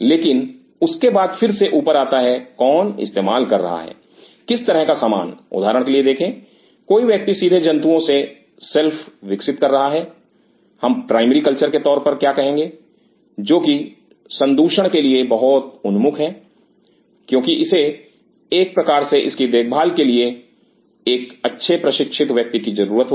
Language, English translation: Hindi, But then again on top of that comes who will be using what kind of stuff see for example, somebody is growing selves directly from animals what we call as primary culture which are much more prone to contamination because it is kind of a very you need very well trained person to take care of it